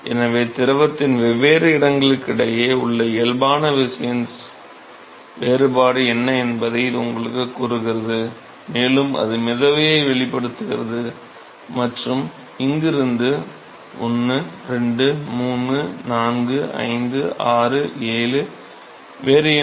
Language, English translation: Tamil, So, that tells you what is the force body force difference between different locations in the fluid, and that exhibits the buoyancy and from here then 1, 2, 3, 4, 5, 6 7, what else